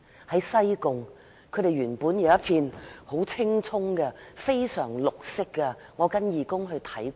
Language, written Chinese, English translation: Cantonese, 在西貢，牠們原本擁有一片青蔥的原棲息地，我跟義工去看過。, In Sai Kung there was once a green pasture for cattle . I once visited the place with some volunteers